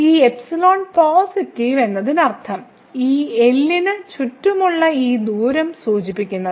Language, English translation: Malayalam, So, this epsilon positive that means, which is denoted by this distance here around this